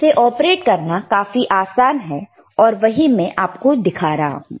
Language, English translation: Hindi, It is very easy to operate, that is what I am I am showing it to you